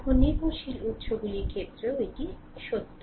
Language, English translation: Bengali, Now, it is true also for dependent sources